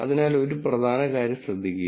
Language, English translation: Malayalam, So, notice, something important